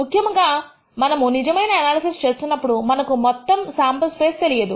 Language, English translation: Telugu, Typically, when we are actually doing analysis we do not know the entire sam ple space